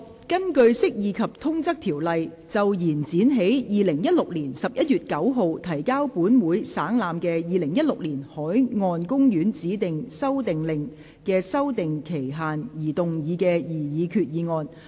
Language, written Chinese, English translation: Cantonese, 根據《釋義及通則條例》就延展於2016年11月9日提交本會省覽的《2016年海岸公園令》的修訂期限而動議的擬議決議案。, Proposed resolution under the Interpretation and General Clauses Ordinance to extend the period for amending the Marine Parks Designation Amendment Order 2016 which was laid on the Table of this Council on 9 November 2016